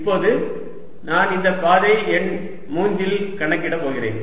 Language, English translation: Tamil, now i am going to calculate over this path number three